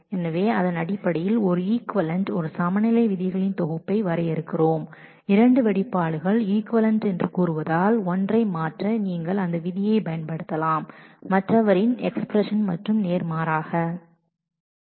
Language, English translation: Tamil, So, based on this we define an equivalence a set of equivalence rule that say that two expressions are equivalent so, you can use that rule to transform one expression by the other and vice versa